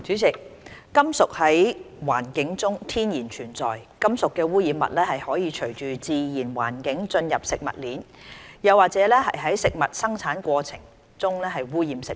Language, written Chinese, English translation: Cantonese, 主席，金屬在環境中天然存在，金屬污染物可循自然環境進入食物鏈，又或在食物生產過程中污染食物。, President metals are naturally present in the environment . Metallic contaminants may enter the food chain through environmental contamination or in the food production process